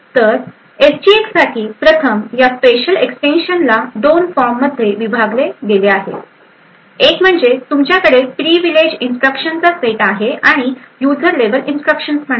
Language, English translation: Marathi, So first of all these special extensions for SGX are divided into 2 form one you have the Privileged set of instructions and the user level instructions